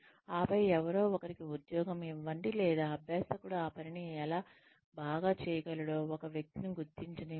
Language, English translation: Telugu, And then, assign somebody, give the job to, or let one person figure out, how the learner can do the job well